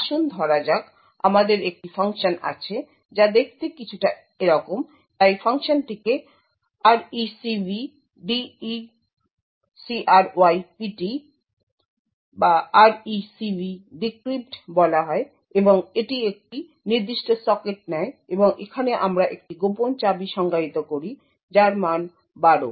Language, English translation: Bengali, Let us say we have a function which looks something like this, so the function is called RecvDecrypt and it takes a particular socket and over here we define a secret key which has a value of 12